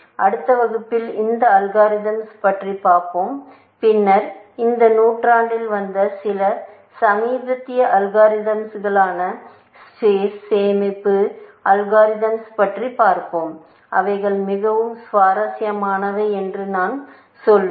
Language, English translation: Tamil, We will look at that algorithm in the next class and then, we will look at some more recent algorithms, which have come in this century, I should say, which are space saving algorithms, which are quite interesting, essentially